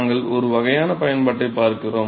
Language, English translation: Tamil, So, we look at some sort of an application